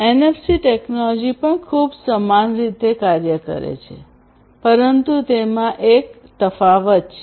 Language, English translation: Gujarati, And this NFC technology also work very similarly, but has a difference